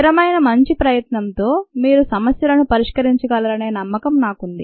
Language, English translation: Telugu, i am sure, with the consistent, good effort, you would be able to solve problems